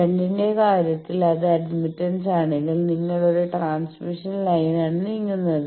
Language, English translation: Malayalam, In case of shunt, it is admittance then you are moving on a transmission line